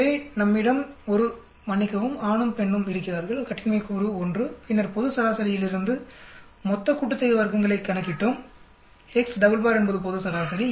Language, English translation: Tamil, So we have a sorry male and female the degrees of freedom is 1 then we calculated total sum of squares which is calculated from the global mean x double bar is global mean